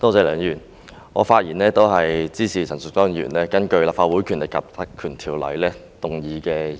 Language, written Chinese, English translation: Cantonese, 梁議員，我發言支持陳淑莊議員根據《立法會條例》動議的議案。, Mr LEUNG I speak in support of the motion moved by Ms Tanya CHAN under the Legislative Council Ordinance